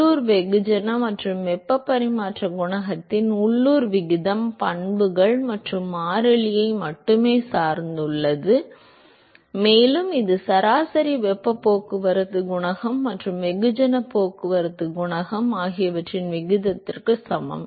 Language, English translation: Tamil, Not just that the local ratio of local mass and heat transfer coefficient depends only on the properties and constant and that is also equal to the ratio of average heat transport coefficient and mass transport coefficient